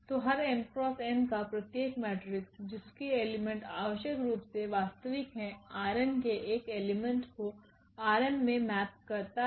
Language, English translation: Hindi, So, every m cross n matrix maps and maps and these entries of these matrices are real of course then it maps an element from R n to an element in R m